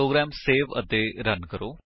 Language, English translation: Punjabi, Save the program and Run